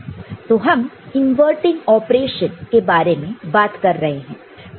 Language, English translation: Hindi, So, that is also giving you an inversion